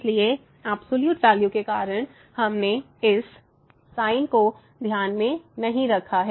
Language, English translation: Hindi, So, because of the absolute value we have not taken this minus into consideration